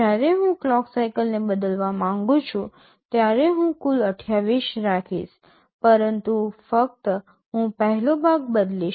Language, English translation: Gujarati, When I want to change the duty cycle, the total I will keep 28, but only I will be changing the first part